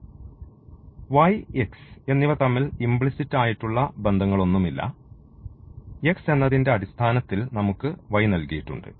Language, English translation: Malayalam, So, there is no implicit relation of y and x is given, but rather we call this as a explicit relation of y in terms of x